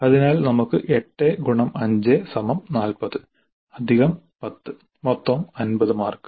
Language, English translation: Malayalam, So we have 8 5 is 40 plus 10 50 marks